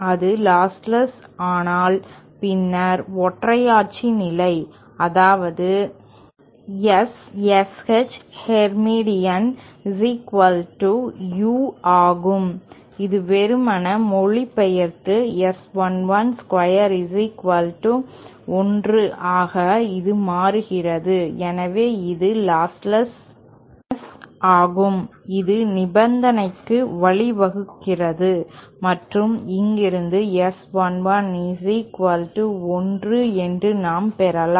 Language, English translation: Tamil, And if it is lost less, then the unitary condition, that is S SH Hermitian is equal to U, this simply translates into S 11 square equal to1 which in turnÉ, so this is the lossless ness that will lead to this condition and from here we can derive that S11 will be equal to 1